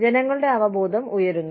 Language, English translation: Malayalam, People are more aware